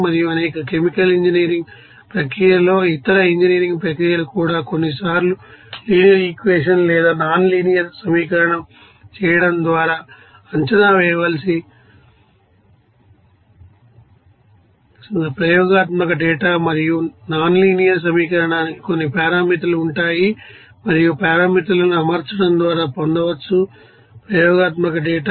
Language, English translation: Telugu, And in many you know chemical engineering process even other engineering processes sometimes the experimental data to be predicted by performing an equation that is linear equation or nonlinear equation whatever it is and that nonlinear equation will have some you know parameters and that parameters can be obtained just by fitting with the experimental data